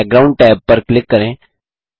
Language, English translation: Hindi, Click the Background tab